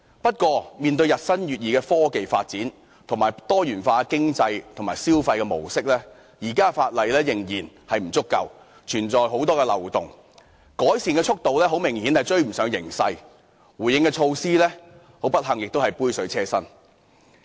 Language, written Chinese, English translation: Cantonese, 不過，面對日新月異的科技發展及多元化的經濟及消費模式，現時的法例仍然不足夠，存在很多漏洞，改善速度明顯趕不上形勢，而不幸地，回應措施亦是杯水車薪。, However our existing legislation is still inadequate in dealing with the rapid advance in technology and the diversified economic and consumption patterns . Obviously the pace of legislative improvement cannot catch up with the development and the laws are full of loopholes . Unfortunately the Governments responses are far from adequate